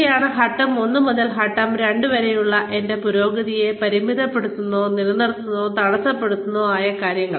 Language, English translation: Malayalam, These are the things, that could limit, or stop, or impede, my progress from point, from step one to step two, and so on